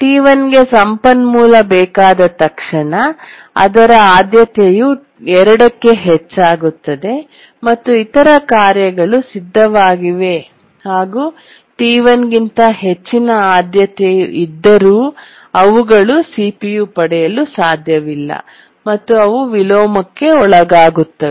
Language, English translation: Kannada, T1 as it acquires the resource, its priority increases to two and the other tasks needing the research which are ready but higher priority than T1 cannot get CPU and they undergo inversion, we call it as the inheritance related inversion